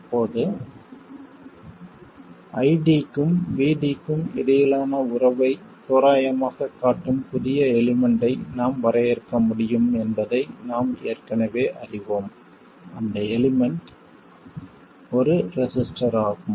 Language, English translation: Tamil, Now we already know that we can define a new element which approximately shows the relationship between ID and VD and that element is a resistor